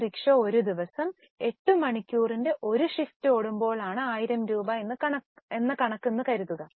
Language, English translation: Malayalam, Assuming that this rickshaw is operated in a single shift of 8 hours, turnover generated was 1000